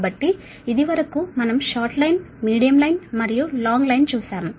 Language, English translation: Telugu, so up to this we have come for short line, medium line and long line, right